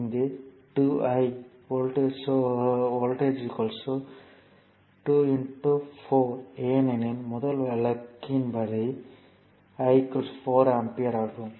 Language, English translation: Tamil, So, this it is 2 I so, here voltage will be 2 into your 4 because first case this case it is I is equal to 4 ampere